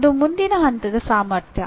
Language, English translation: Kannada, That is the next level capacity